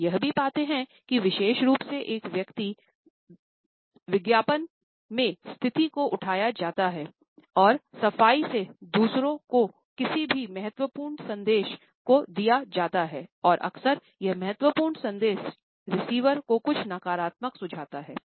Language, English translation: Hindi, We also find that this particular position is taken up by a person in advert and clean unconsciously with a person has to pass on any important message to others, and often this important message suggests something negative to the receiver